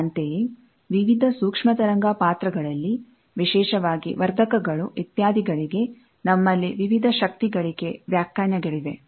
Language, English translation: Kannada, Similarly, in various microwave characterization, particularly for amplifiers, etcetera, we have various power gain definitions